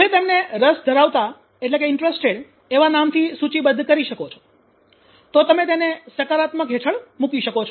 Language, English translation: Gujarati, So you can list them like interested you can put them under positive